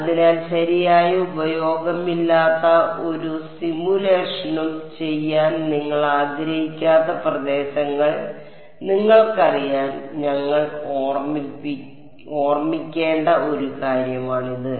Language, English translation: Malayalam, So, this is a something that we should keep in mind for you know regions where you do not want to do any simulation where there is no use right